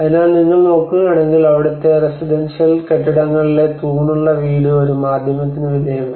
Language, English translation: Malayalam, So if you look at it the pillared house in the residential buildings there a subjected the medium